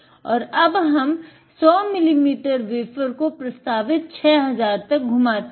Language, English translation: Hindi, Now we are going to run a 100 millimeter wafer as suggested up to 6000